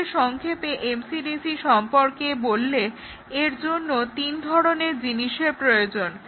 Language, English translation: Bengali, To summarize MCDC, we said that there are three things that are required